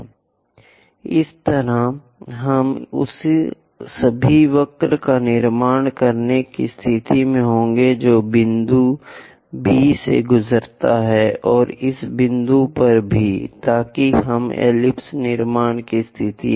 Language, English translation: Hindi, In that way, we will be in a position to construct all that curve which pass through B point and also at this point, so that we will be in a position to connects construct ellipse